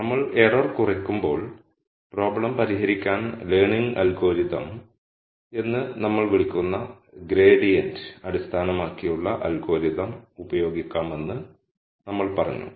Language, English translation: Malayalam, And when we minimize error, we said we could use some kind of gradient based algorithm what we called as the learning algorithm to solve the problem